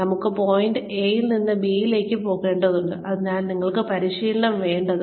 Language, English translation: Malayalam, We need to go from point A to point B and, that is why, we need training